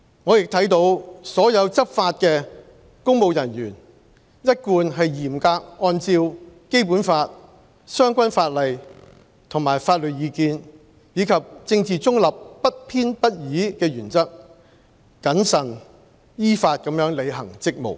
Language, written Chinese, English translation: Cantonese, 我亦看到所有執法的公務人員一貫是嚴格按照《基本法》、相關法例和法律意見，以及政治中立、不偏不倚的原則，謹慎依法履行職務。, I also note that all law - enforcing public officers have always been fulfilling their duties prudently lawfully and in strict accordance with the Basic Law the relevant legislation and legal advices abiding by the principles of political neutrality and impartiality